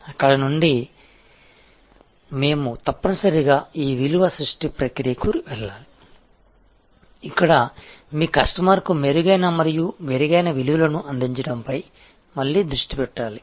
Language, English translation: Telugu, In that from there we must go to this value creation process, where again emphasis has to be on offering better and better values to your customer